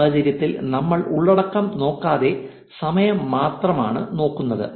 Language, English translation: Malayalam, In this case, we are only looking at the time we are not looking at the content